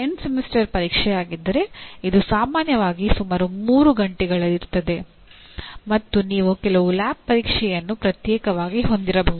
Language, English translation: Kannada, If it is end semester exam, it is generally about 3 hours and you may have some lab exam separately